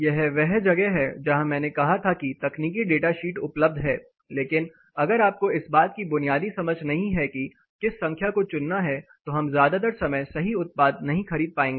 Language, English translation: Hindi, This is where I said there are technical data sheets available, but if you do not have a fundamental understanding of which number to choose look at and what to choose we will not be ending up with the right product most of the time